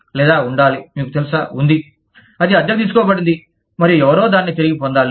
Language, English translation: Telugu, Or, has to be, you know, is being, it was rented, and somebody needs it back